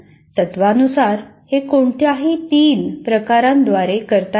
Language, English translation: Marathi, In principle, it can be done by any of the three varieties